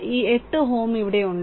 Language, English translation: Malayalam, And this 8 ohm is here